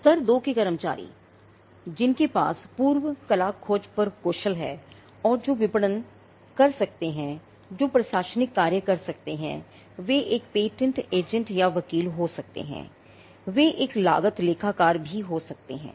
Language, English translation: Hindi, Level 2 staff of people who have skill on prior art search and who are who can do marketing who can do the administrative work they could be one patent agent or attorney they could also be a cost accountant